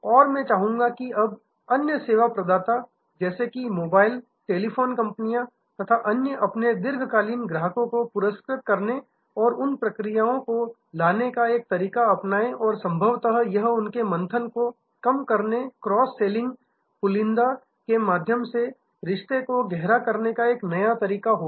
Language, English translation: Hindi, And I wish now other service providers like say mobile, telephony companies, etce will adopt a way to reward their long term customers and bringing those tiering processes and possibly that will be a way to reduce their churn and deepen the relationship via cross selling and bundling